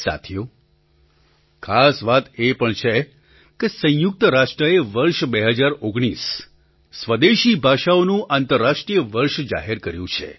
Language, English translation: Gujarati, Friends, another important thing to note is that the United Nations has declared 2019 as the "International Year of Indigenous Languages"